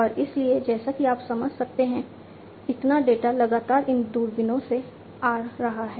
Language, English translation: Hindi, And so as you can understand continuously in the, so much of data are coming from these telescopes